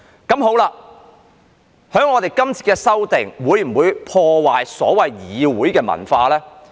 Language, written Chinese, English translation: Cantonese, 究竟這次修訂會否破壞議會文化呢？, Will this amendment exercise undermine the parliamentary culture?